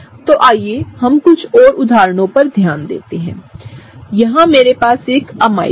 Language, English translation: Hindi, So, let us look at some more examples, here in we have an amide